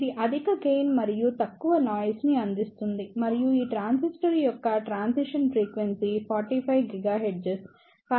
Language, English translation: Telugu, the It provides higher gain and low noise and it the transition frequency of this transistor is 45 gigahertz